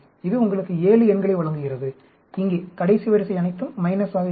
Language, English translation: Tamil, It gives you 7 numbers, here; the last row will be all minuses